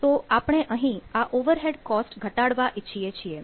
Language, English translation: Gujarati, so i want to reduce that overhead cost, right